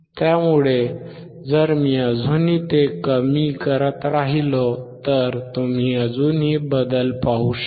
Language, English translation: Marathi, So, if I still go on decreasing it, you can still see there is a change